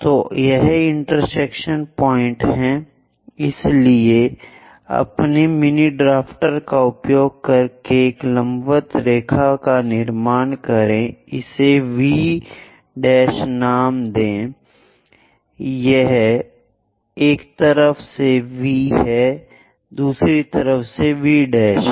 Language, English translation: Hindi, So, this is the intersection point So, use your mini drafter construct a vertical line perpendicular thing thus name it V prime, on one side we have V, on other side we have V prime